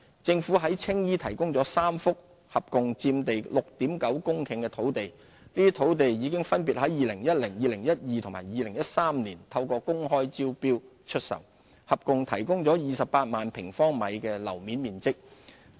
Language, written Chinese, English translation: Cantonese, 政府在青衣提供了3幅共佔地約 6.9 公頃的土地，這些土地已於2010年、2012年及2013年透過公開招標出售，合共提供約28萬平方米的樓面面積。, Three logistics sites in Tsing Yi made available by the Government totalling about 6.9 hectares were sold by open tender in 2010 2012 and 2013 respectively providing a total of some 280 000 sq m of floor area